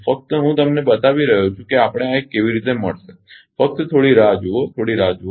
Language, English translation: Gujarati, Just I am showing you how we will get this one just hold on just hold on